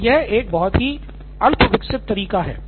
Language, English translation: Hindi, So that is a very rudimentary way